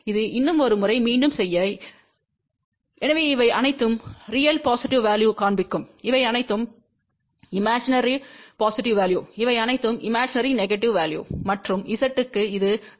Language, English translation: Tamil, So, this one here just to repeat one more time , so all of these things will show the real positive value, all these are imaginary positive value, all these are imaginary negative value and for Z, this is 0